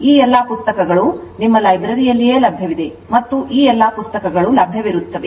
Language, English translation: Kannada, All these books are available right in your library also all these books will be available